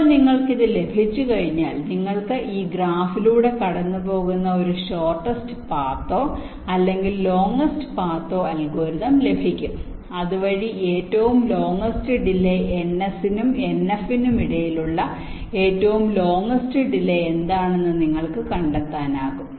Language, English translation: Malayalam, now, once you have this, then you can have some kind of a shortest path or the longest path algorithms running through this graph so that you can find out what is the longest delay between n, s and n f, the longest delay